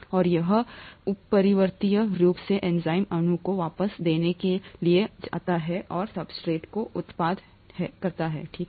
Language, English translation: Hindi, And this irreversibly goes to give the enzyme molecule back and the product from the substrate, okay